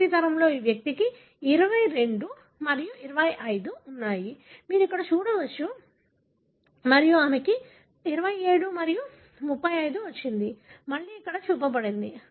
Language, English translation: Telugu, This individual in the first generation is having 22 and 25 as you can see here and she has got 27 and 35, again that is shown here